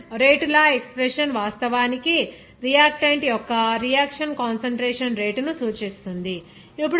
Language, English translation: Telugu, The reaction rate law expression actually relates the rate of reaction to the concentration of the reactants